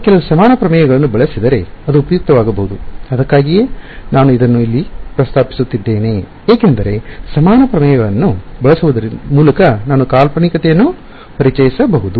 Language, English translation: Kannada, It may be useful if I use some of the equivalence theorems that is why I am mentioning it over here because by using equivalence theorems I can introduce a fictitious